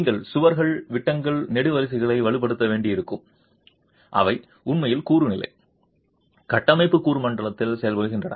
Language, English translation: Tamil, You might have to strengthen walls, beams, columns, they are really working at the component level, structural component level